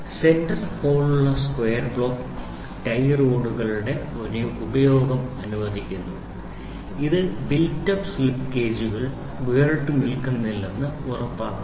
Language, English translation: Malayalam, The square block with center hole permits the use of tie rods, which ensures the built up slip gauges do not fall apart